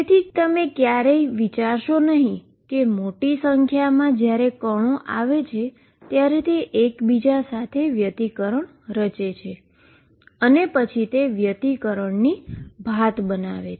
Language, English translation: Gujarati, So, never think that it is only when large number particles come they interfere with each other and then the form in interference pattern